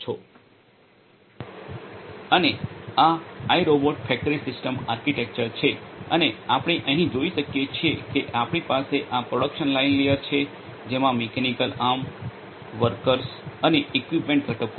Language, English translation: Gujarati, And this is this iRobot factory system architecture and here as we can see we have this production line layer which has the mechanical arm workers and equipment components